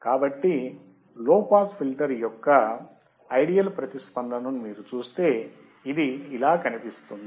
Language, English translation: Telugu, So, if you see ideal response of the low pass filter, it will look like this